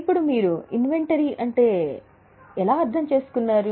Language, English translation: Telugu, Now, what do you understand by inventory